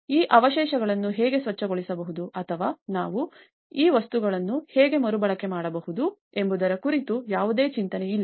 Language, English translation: Kannada, So, there is no thought process of how one can even clean up this debris or how we can reuse these materials